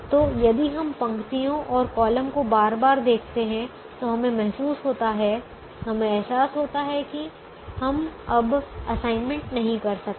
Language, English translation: Hindi, so if we keep repeating, looking at the rows and columns, we realize that we cannot make anymore assignment